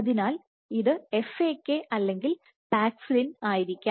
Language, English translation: Malayalam, So, this would be FAK or paxillin